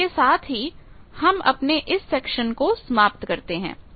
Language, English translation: Hindi, With that we conclude this section